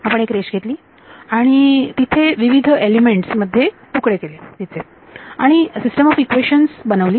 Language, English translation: Marathi, We took a line and we chopped into elements and formed the system of equations